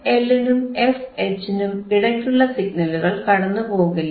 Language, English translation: Malayalam, tThe signals between f L and f H we cannot pass